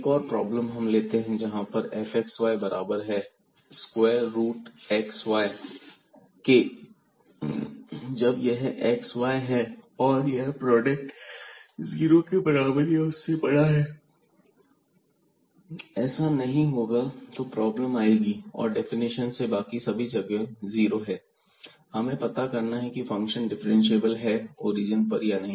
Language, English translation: Hindi, Another problem here we take this f xy is equal to square root x y when we have this xy, this product positive greater than equal to 0 otherwise there will be problem here and the definition and 0 elsewhere